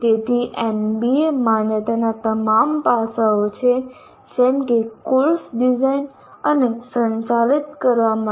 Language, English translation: Gujarati, So these are all the aspects of NBA accreditation as far as designing and conducting a course